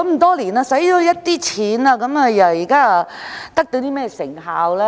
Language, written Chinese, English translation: Cantonese, 多年來花費了一大筆錢，但得到甚麼成效呢？, A lot of money has been spent over the years but what results have been achieved?